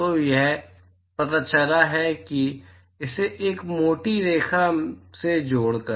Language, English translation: Hindi, So, it turns out that by join it with a thicker line